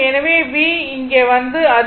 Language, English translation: Tamil, So, v will come to this and I will move